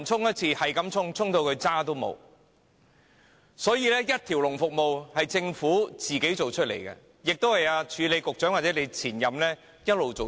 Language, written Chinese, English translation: Cantonese, 因此，這種一條龍服務是政府一手造成的，亦是署理局長或其前任一直以來造成的。, Hence the Government is the prime culprit of this kind of one - stop service whereas the Acting Secretary or his predecessor also has a part to play